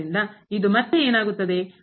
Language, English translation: Kannada, So, what will be this again